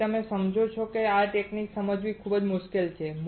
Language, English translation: Gujarati, So, you understand that it is not difficult to understand this technique